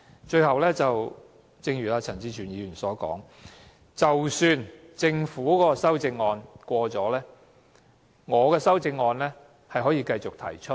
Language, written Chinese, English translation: Cantonese, 最後，正如陳志全議員所說，即使政府提出的修正案獲得通過，我仍可動議我的修正案。, Lastly as Mr CHAN Chi - chuen has pointed out even if the Governments amendments are passed I can still move my amendment